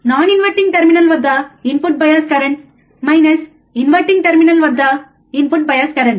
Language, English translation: Telugu, The input by bias current at the non inverting terminal minus input bias current at the inverting terminal